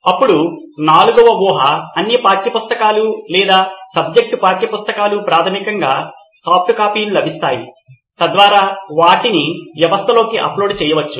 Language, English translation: Telugu, Then assumption four would be all the textbooks or subject textbooks basically are available as soft copies, so that they can be uploaded into the system